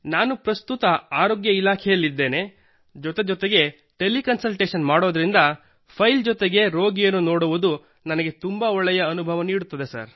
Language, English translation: Kannada, Because I am currently in the health department and simultaneously do teleconsultation… it is a very good, pleasant experience for me to see the patient along with the file